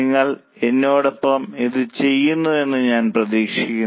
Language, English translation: Malayalam, I hope you are doing it with me